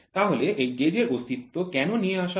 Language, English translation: Bengali, So, why is this gauge coming into existence